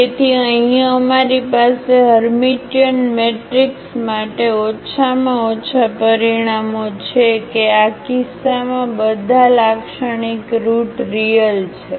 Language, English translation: Gujarati, So, here we have at least the results for the Hermitian matrix that all the characteristic roots are real in this case